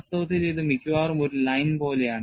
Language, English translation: Malayalam, In reality, it is almost like a line